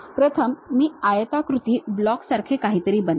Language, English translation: Marathi, First I will make something like a rectangular block